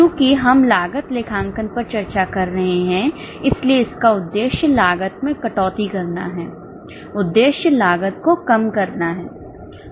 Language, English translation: Hindi, Since we are discussing cost accounting, the aim is to cut down the cost, aim is to reduce the cost